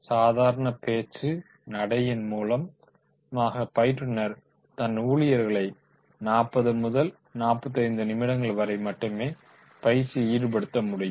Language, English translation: Tamil, Through the spoken verse, the person, the trainer, he can engage the employees for 40 minutes to 45 minutes maximum